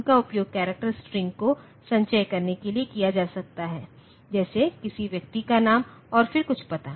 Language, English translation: Hindi, They are used for storing character strings, like say the name of a person then some other address and all that